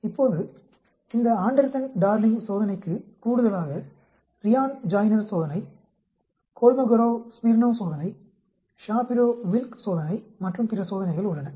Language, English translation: Tamil, Now, in addition to this Anderson Darling test, there are other tests like Ryan Joiner test, a Kolmogorov Smirnov test, Shapiro Wilk test and so on